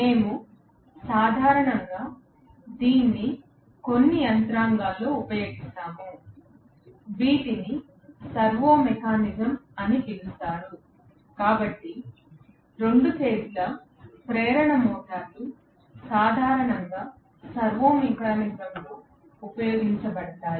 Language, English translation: Telugu, We generally use it in some mechanisms, which are known as servo mechanism, so 2 phase induction motors are generally used in servo mechanism